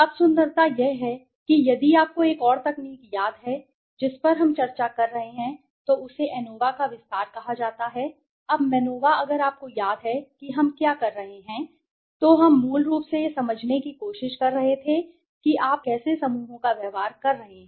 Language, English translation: Hindi, Now the beauty is that if you remember another technique which we are discussed was called MANOVA right, an extension of ANOVA, now MANOVA if you remember what where we are doing in MANOVA we were basically trying to understand how to or how groups are behaving right, when you have multiple dependent variables and multiple independent variables